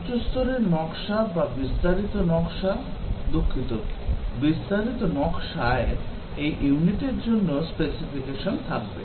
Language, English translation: Bengali, The high level design or the detailed design, sorry, the detailed design will have the specification for this unit